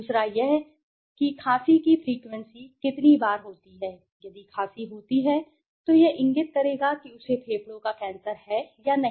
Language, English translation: Hindi, Second is what is the coughing frequency how many times is if coughing right, so that would indicate whether he is got a lung cancer or not, right